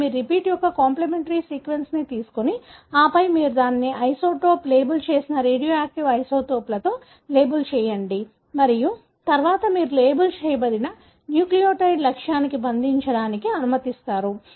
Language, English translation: Telugu, It is, you take the complimentary sequence of the repeat and then you label it with an isotope, radioactive isotopes you label and then you allow the labelled nucleotide to go and bind to the target